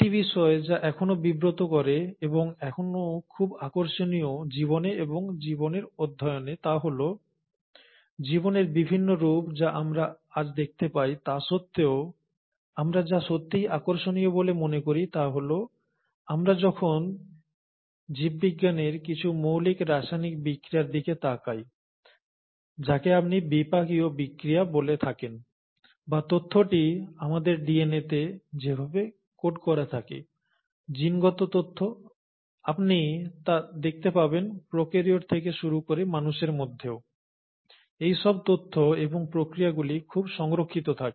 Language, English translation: Bengali, One point which still puzzles, and is still very intriguing in life, and study of life is, that despite the varied forms of life that we see today, what we really find interesting is that when we look at some of the fundamental chemical reactions in biology, what you call as metabolic reactions, or the way the information is coded in our DNA, genetic information, you find that right from prokaryotes all the way till humans, a lot of these informations and the processes are conserved